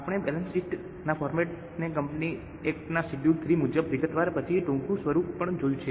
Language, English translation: Gujarati, We have also seen the format of balance sheet, a short form then in detail as per Schedule 3 of Companies Act